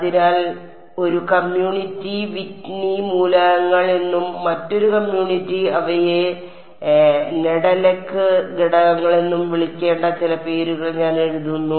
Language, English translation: Malayalam, So, I will just write down some of names they are to called Whitney elements by one community and another community calls them Nedelec elements